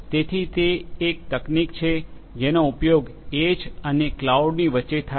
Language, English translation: Gujarati, So, that is a technology that is used between the edge and the cloud